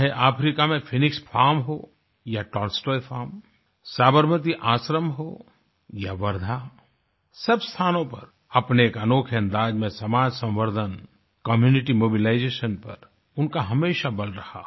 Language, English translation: Hindi, Whether it was the Phoenix Farm or the Tolstoy Farm in Africa, the Sabarmati Ashram or Wardha, he laid special emphasis on community mobilization in his own distinct way